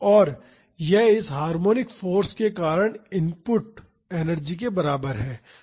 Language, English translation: Hindi, And, this is equal to the energy input due to this harmonic force